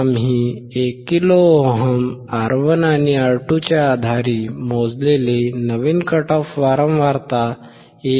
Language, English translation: Marathi, The new cut off frequency that we have calculated based on R1 and R2, equal to 1 kilo ohm, is 1